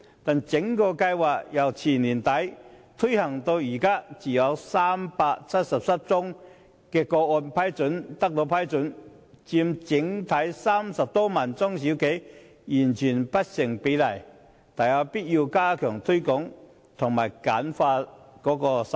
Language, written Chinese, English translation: Cantonese, 然而，該計劃由2016年年底推行至今，只有377宗個案獲批，與全港30多萬家中小企相比，獲批比率完全不成比例，大有必要加強推廣及簡化申請手續。, However since the launch of the Programme in late 2016 only 377 applications have been approved . Compared with the total number of small and medium enterprises in Hong Kong which is some 300 000 the percentage of approval is utterly disproportionate . It is indeed necessary to enhance promotion and streamline the application procedures